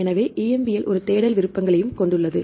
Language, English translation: Tamil, So, EMBL also have a search options